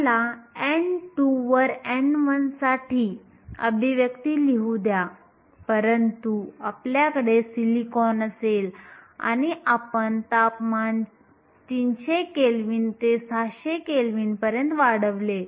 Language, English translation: Marathi, Let me just rewrite that expression n 1 over n 2, but t 1, if we have silicon and we increase the temperature from 300 kelvin to 600 kelvin